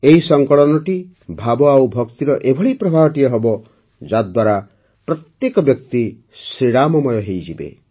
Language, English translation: Odia, This compilation will turn into a flow of emotions and devotion in which everyone will be immersively imbued with the ethos of Ram